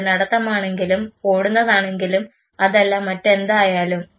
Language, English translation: Malayalam, Whether it is say walking running whatever it is